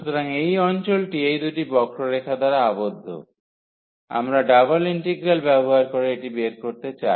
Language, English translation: Bengali, So, the area here enclosed by these two curves, we want to find using the double integral